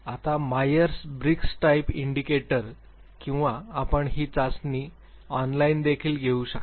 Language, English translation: Marathi, Now, Myers Briggs Type Indicator or you can even take this test online